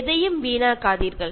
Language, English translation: Tamil, Do not waste anything